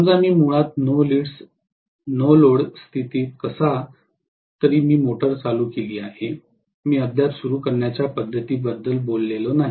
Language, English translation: Marathi, Let us say I have basically under the no load condition under no load condition somehow I have started the motor, I have still not talked about starting methods